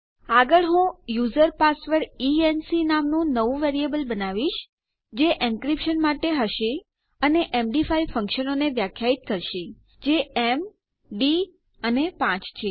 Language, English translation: Gujarati, Next Ill create a new variable called user password e n c which stands for encryption and Ill define my MD5 functions, which is basically m,d and 5